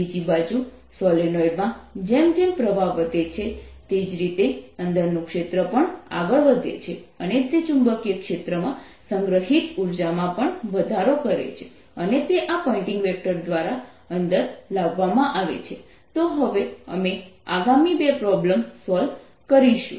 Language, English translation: Gujarati, on the other hand, in the solenoid, as the current increases, so does the field inside, and if the b field is increasing, the energy stored in that magnetic field is also increasing, and that is brought in by this pointing vector